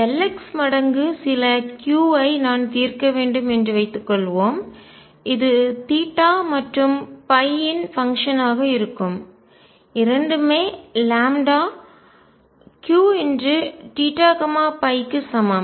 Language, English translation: Tamil, Suppose I were to solve L x times some Q, right which will be a function of theta and phi both equals lambda Q theta and phi